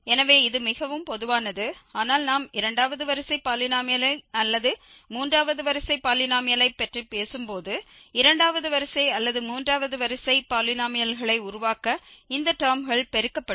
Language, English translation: Tamil, So, this is more general but when we are talking about the second order polynomial or third order polynomial then this product will come such terms will come in product to make the second order or the third order polynomials